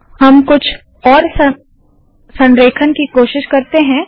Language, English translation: Hindi, We will now try different alignments